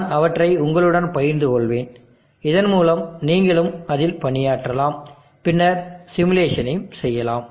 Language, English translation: Tamil, I will share them with you, so that you can also work on it, and then make the simulation work